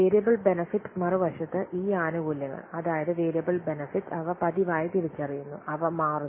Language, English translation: Malayalam, On the other hand, these benefits, that means variable benefits, they are realized on a regular basis